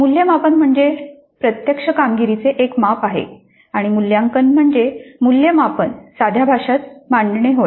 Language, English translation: Marathi, Now assessment actually is a measure of performance and evaluation is an interpretation of assessment